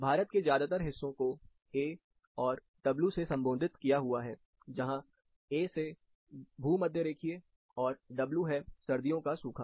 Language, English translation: Hindi, Say most part of India, it shows as A W that is, A is equatorial, and winter dry